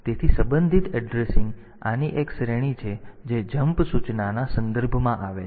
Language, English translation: Gujarati, the relative addressing is one category of this comes in the context of jump instruction